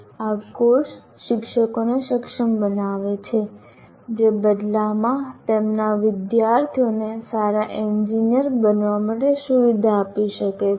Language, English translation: Gujarati, The course enables the teachers who in turn can facilitate their students to become a good engineer's